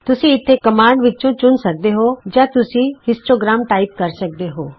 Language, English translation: Punjabi, You can select from the commands here or you can just type histogram